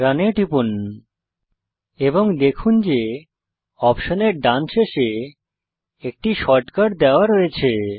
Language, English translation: Bengali, Click Run And Notice that on the right end of the option, there is the shortcut is given